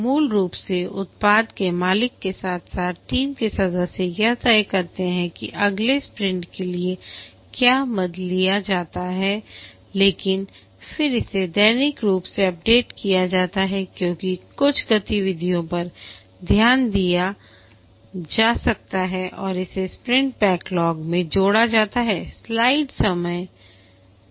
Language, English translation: Hindi, Basically, the product owner along with the team members decide what are the items to take up for the next sprint, but then it is updated daily because some activities may be noticed to be done and that is added to the sprint backlog